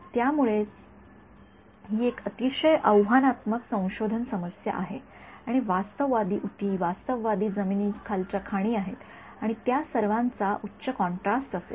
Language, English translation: Marathi, This is why this is a very challenging research problem and realistic tissues realistic landmines and all they will have high contrast right